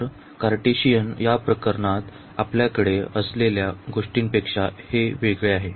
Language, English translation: Marathi, So, this is let us different than what we have in the Cartesian case